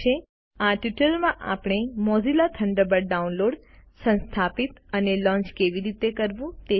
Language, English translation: Gujarati, In this tutorial we learnt about Mozilla Thunderbird and how to download, install and launch Thunderbird